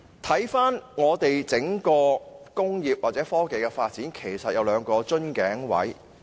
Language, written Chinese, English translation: Cantonese, 香港工業或科技發展有兩個瓶頸位。, There are two bottlenecks in Hong Kongs industrial or technological development